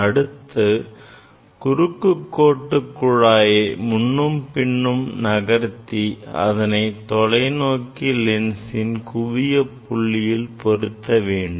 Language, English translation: Tamil, This cross wire tube will move in and out of this telescope tube to put it at the focal point of the of the telescope lens